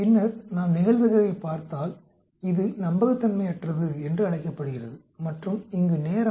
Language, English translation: Tamil, Then if we look at the probability it is called the unreliability and the time here